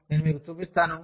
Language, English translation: Telugu, I will just show you